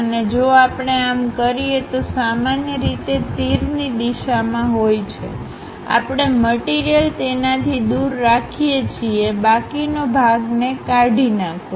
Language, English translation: Gujarati, And if we do that, usual representation is in the direction of arrows; we keep the object away from that remove the remaining portion